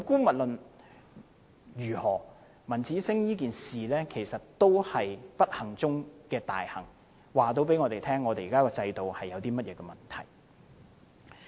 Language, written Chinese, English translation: Cantonese, 無論如何，文子星事件是不幸中的大幸，告訴我們現在的制度有甚麼問題。, The incident of Ramanjit SINGH is unfortunate; but fortunately it has revealed problems in our existing system